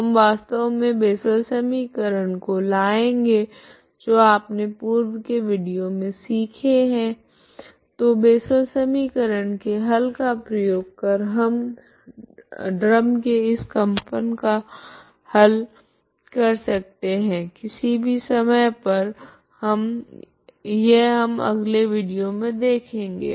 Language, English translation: Hindi, So we can actually bring in Bessel equation, okay that you have learned in earlier videos, okay so using the solutions of the Bessel equation we can find the solution of this vibration of the drum so for all times, okay this is what we will see in the next video, thank you very much